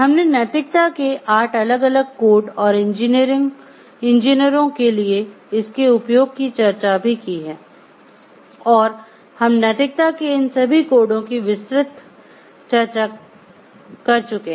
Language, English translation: Hindi, We have discussed about the 8 different codes of ethics and for engineers and we have gone through a detailed discussion of each of these codes of ethics